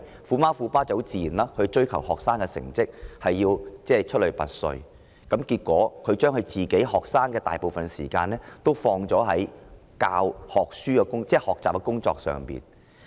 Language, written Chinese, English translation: Cantonese, "虎媽"及"虎爸"追求子女成績出類拔萃，結果將子女的大部分時間投放在學習之上。, As tiger parents demand their children to achieve academically the children have to spend most of their time studying